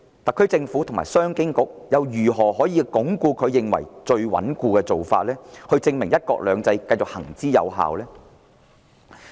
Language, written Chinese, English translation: Cantonese, 特區政府和商務及經濟發展局如何以最穩固的做法，證明"一國兩制"繼續行之有效？, How can the SAR Government and the Commerce and Economic Development Bureau prove in the most solid way that the implementation of one country two systems has been effective?